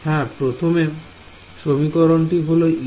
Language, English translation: Bengali, Yeah, the first equation is e 1